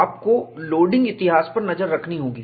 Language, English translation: Hindi, You have to keep track of the loading history